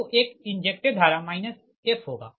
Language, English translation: Hindi, so an injected current will be minus i f